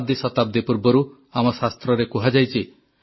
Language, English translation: Odia, Our scriptures have said centuries ago